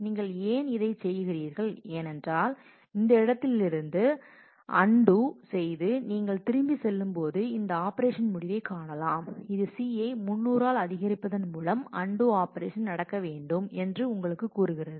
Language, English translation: Tamil, Why are you doing this because when you go back to undo from this point you come across this operation end which tells you that the undo operation has to happen by incrementing C by 300